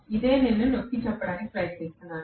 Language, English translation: Telugu, This is what I am trying to emphasize, right